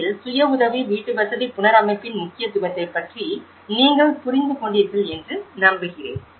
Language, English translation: Tamil, I hope you understand about the importance of the self help housing reconstruction in Turkey, thank you very much